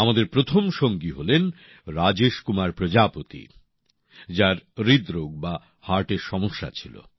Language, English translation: Bengali, Our first friend is Rajesh Kumar Prajapati who had an ailment of the heart heart disease